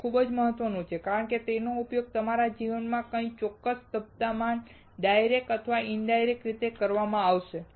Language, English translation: Gujarati, It is very important because it will be used in a certain phase of your life directly or indirectly